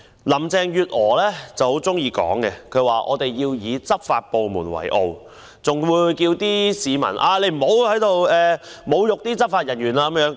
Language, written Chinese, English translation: Cantonese, 林鄭月娥很喜歡說，我們要以執法部門為傲，更呼籲市民不要侮辱執法人員。, Mrs Carrie LAM always likes to say that we should be proud of our law enforcement agencies and she even asks members of the public not to insult law enforcement officers